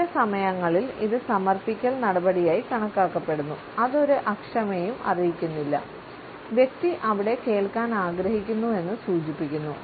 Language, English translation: Malayalam, Sometimes it is taken a as an act of submission, it does not convey any impatience the person would stay there wants to stay there also